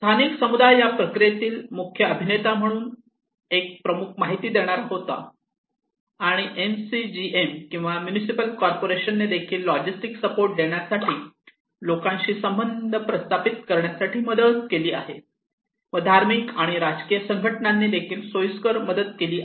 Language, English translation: Marathi, Local community was the key Informant one of the main actor in this process and MCGM or Municipal Corporations also helped us providing logistics support, helping in building rapport with the people, facilitative say religious and political organizations